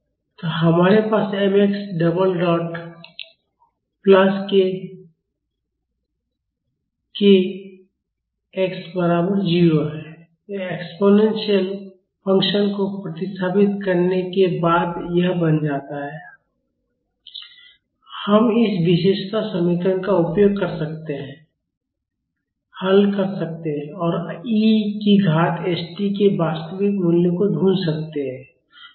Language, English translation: Hindi, So, we have mx double dot plus k x is equal to 0, after substituting the exponential function it becomes this, we can use this characteristic equation solve for it and find the actual values of e to the power st